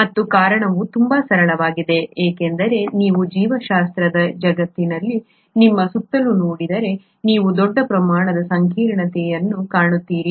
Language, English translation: Kannada, And the reason is very simple because if you look around yourself in this world of life biology, you find huge amount of complexity